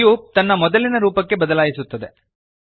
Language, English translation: Kannada, The cube changes back to its original form